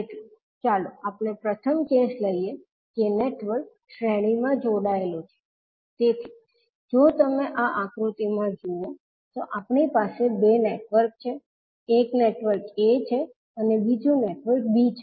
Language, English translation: Gujarati, So, let us take first case that the network is series connected, so if you see in the figure these we have the two networks, one is network a and second is network b